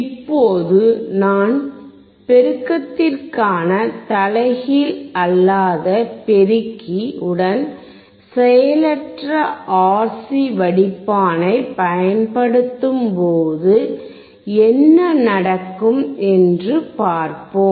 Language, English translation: Tamil, Now, let us see if I use, a non inverting amplifier for the amplification along with the passive RC filter